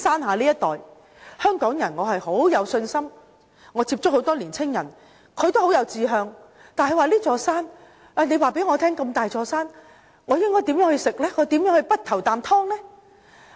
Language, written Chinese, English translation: Cantonese, 我對香港人很有信心，我接觸很多年青人都很有志向，但他們會問，這麼大的一座山，他們如何能夠早着先機呢？, I have confidence in Hong Kong people . Many of the young people which I have met are ambitious yet they will ask how can they seize the opportunities presented by such a giant mountain before others do?